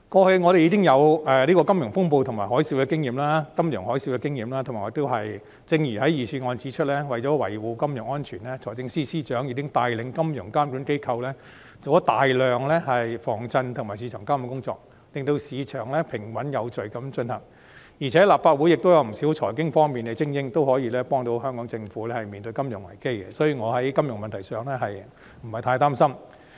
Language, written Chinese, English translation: Cantonese, 香港已經有金融風暴和金融海嘯的經驗，正如預算案指出，為了維護金融安全，財政司司長已經帶領金融監管機構進行大量防震及市場監管工作，令市場平穩有序地運行，而且立法會亦有不少財經精英可以協助香港政府面對金融危機，所以我在金融問題上不太擔心。, Hong Kong has experienced the Asian Financial Crisis and the Global Financial Tsunami . As pointed out in the Budget to ensure financial security under the Financial Secretarys steer financial regulators have taken great efforts on shock - resistance and market surveillance for the operation of a stable and orderly financial market . Besides quite a number of financial elites in the Legislative Council can also help the Hong Kong Government weather a financial crisis